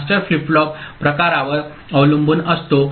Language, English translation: Marathi, And the master is depending on the flip flop type